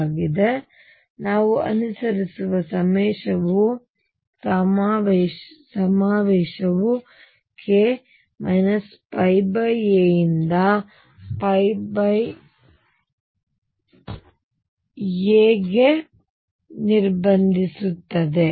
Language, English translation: Kannada, So, what the convention we follow is restrict k to minus pi by a to plus pi by a